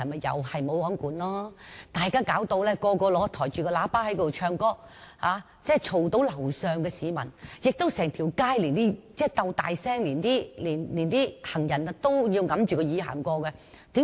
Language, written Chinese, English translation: Cantonese, 就是"無皇管"，人人也使用擴音器唱歌，騷擾到樓上的居民，整條街的人也像在鬥大聲，行人經過也要掩着耳朵。, It was the lack of regulation . People used a loudspeaker when they sang disturbing the residents upstairs . People on the street shouted to draw attention and passers - by had to cover their ears with their hands